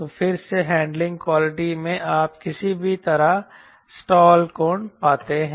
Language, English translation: Hindi, so again, in handling qualities you find somehow the stall angle